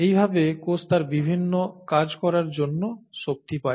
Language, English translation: Bengali, And this is how the cell gets its energy to do its various functions